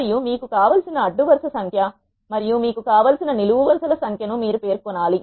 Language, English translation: Telugu, So, we need to specify the value to be 3 and you have to specify the number of rows you want and the number of columns you want